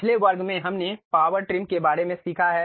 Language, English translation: Hindi, In the last class, we have learned about Power Trim